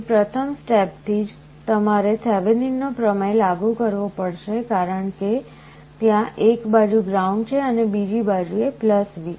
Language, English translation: Gujarati, Here from the first step itself you have to apply Thevenin’s theorem because there is ground on one side and +V on other side